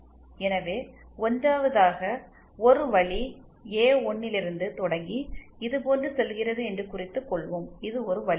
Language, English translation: Tamil, So, 1st we note that this is the path, starting from A1, going like this, this is one path